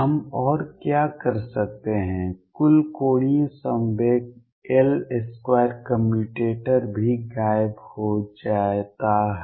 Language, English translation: Hindi, What other thing we can do is that the total angular momentum L square commutator also vanishes